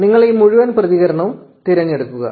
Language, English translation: Malayalam, So, you select this entire response